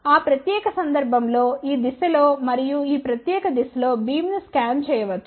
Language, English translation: Telugu, So, we can scan the beam from this direction to this particular direction